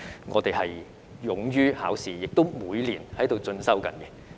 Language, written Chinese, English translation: Cantonese, 我們勇於考試，亦每年都在進修。, We are not afraid of exams and we have been pursuing further studies every year